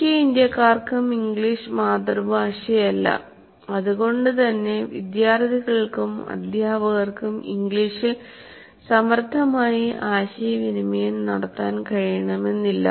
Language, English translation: Malayalam, And English not being our language, the native language for most Indians, students as well as teachers are not necessarily fluent communicating in English